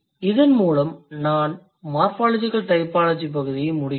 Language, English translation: Tamil, So, with this I end morphological typology section